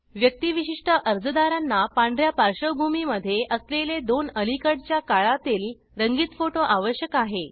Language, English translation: Marathi, Individual applicants need two recent colour photographs with a white background